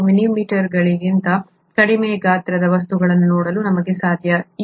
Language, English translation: Kannada, ItÕs not possible for us to see things which are below a few millimetres in size